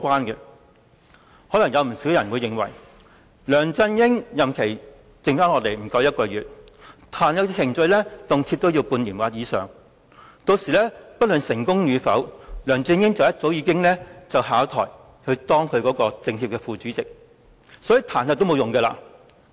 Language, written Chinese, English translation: Cantonese, 有不少人可能會認為，梁振英的任期餘下不足1個月，但彈劾程序卻動輒半年或以上，屆時不論成功與否，梁振英早已下台當其政協副主席，所以彈劾也沒有用。, Many people may think that as LEUNG Chun - ying will only remain in office for less than a month and the impeachment process will probably take at least six months by then disregarding the success or failure of the impeachment LEUNG Chun - ying probably will have already stepped down and become the Vice Chairman of the Chinese Peoples Political Consultative Conference . Hence the impeachment is meaningless